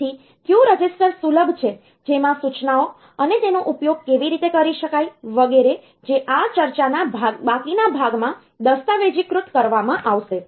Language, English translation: Gujarati, So, which register is accessible in which instruction, and how they can be used etcetera; that will be documented in the remaining part of this discussion